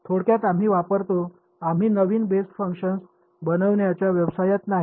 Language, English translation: Marathi, Typically we use we are not in the business of constructing new basis functions